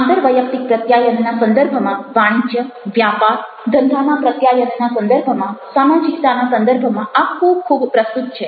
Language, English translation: Gujarati, now this becomes very, very relevant in the context of interpersonal communication, in a context of commerce, straight business communication, in the context of socializing